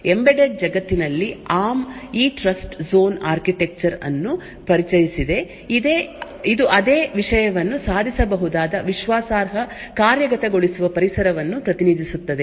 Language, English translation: Kannada, In the embedded world arm has introduced this trust zoon architecture which is stands for Trusted Execution Environment which could achieve the same thing